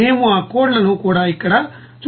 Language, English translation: Telugu, And we will also show those codes also here